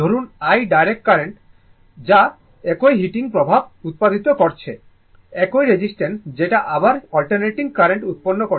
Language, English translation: Bengali, Suppose, i, i be the value of the direct current to produce the same heating in the same resistor as produced by a your by alternating current, right